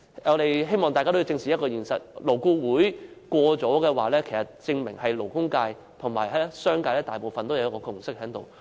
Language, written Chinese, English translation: Cantonese, 我希望大家正視現實，如果勞顧會贊同某項建議，證明勞工界及商界大部分人士均已達致共識。, I hope Members will squarely face the reality . If LAB approves of a certain proposal it is evident that the majority in the labour and business sectors have already reached a consensus